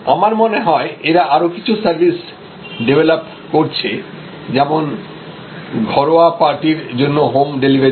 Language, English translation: Bengali, And I think, they are now developing certain new other service businesses like home delivery of for smaller parties, etc